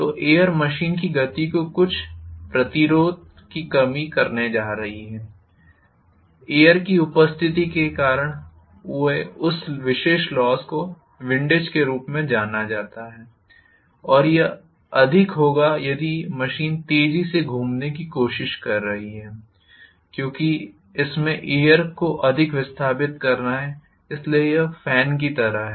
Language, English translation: Hindi, So that air is going to offer some resistance to the movement of the machine, that particular loss encountered because of the presence of air or wind, surrounding wind that is known as windage and this will be more if the machine is trying to rotate faster because it has to displace the wind more, so it is like fan